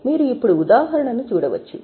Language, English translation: Telugu, So, you can just have a look at the example